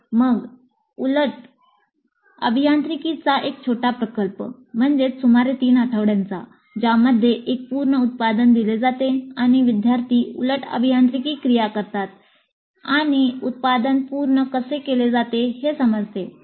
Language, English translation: Marathi, Then a small project in reverse engineering, a completed product is given and the students do the reverse engineering activities in order to understand how the product was synthesized